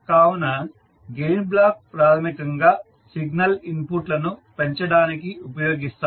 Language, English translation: Telugu, So Gain Block is basically used to amplify the signal input